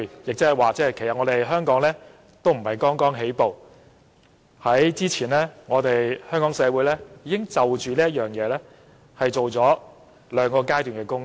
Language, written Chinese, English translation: Cantonese, 來到第三階段，即是說，香港並非剛剛起步，早前香港社會已在這方面進行了兩個階段的工作。, Coming to the third phase that means Hong Kong did not just make a start . Before this Hong Kong society has already carried out two phases of work in this aspect